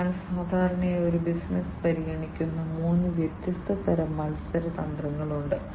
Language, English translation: Malayalam, So, there are three different types of competing strategies that typically a business considers